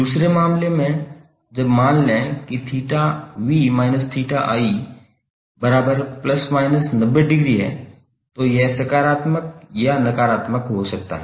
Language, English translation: Hindi, In second case when suppose theta v minus theta i is the difference of angles is 90 degree that may be positive or negative